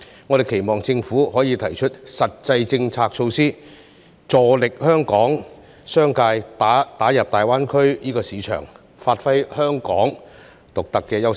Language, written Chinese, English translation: Cantonese, 我們期望政府可以提出實際的政策和措施，助力香港工商界打入大灣區市場，發揮香港獨特的優勢。, We hope that the Government will put forward practical policies and measures to help the business sector of Hong Kong enter the GBA market and give play to Hong Kongs unique advantages